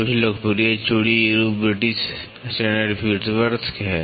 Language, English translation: Hindi, Some of the popular threads forms are British Standard Whitworth